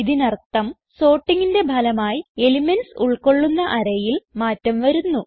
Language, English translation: Malayalam, It means that the array which contains the elements is changed as a result of sorting